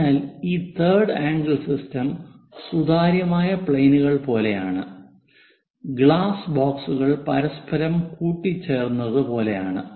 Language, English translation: Malayalam, So, in this third angle system is more like transparent planes and glass boxes are intermingled with each other